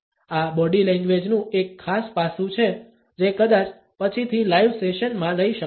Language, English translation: Gujarati, This is one particular aspect of body language, which perhaps can be taken later on in live sessions